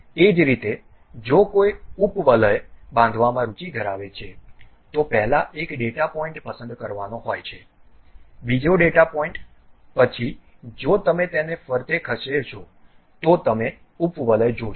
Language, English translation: Gujarati, Similarly, if one is interested in constructing an ellipse first one data point one has to pick, second data point, then if you are moving it around you will see the ellipse